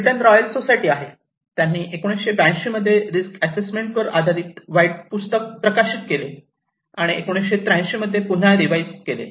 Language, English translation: Marathi, there is a Britain Royal Society; they publish a White book on risk assessment in 1982 and in 1983, it was revised again